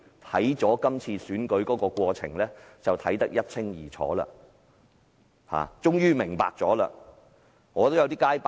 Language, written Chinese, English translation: Cantonese, 不過，這次選舉過程卻令他看得一清二楚，終於完全明白。, However the ongoing election process has opened his eyes and he finally realized what has happened